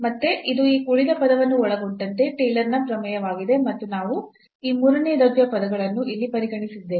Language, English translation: Kannada, So, again this is the Taylor’s theorem including this remainder term and we have considered these third order terms here